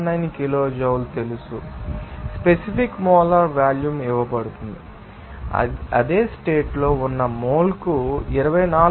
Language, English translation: Telugu, 79 kilojoule per mole and also specific molar volume is given that is under same condition is 24